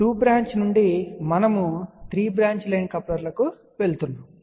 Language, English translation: Telugu, So, from 2 branch we went to 3 branch line coupler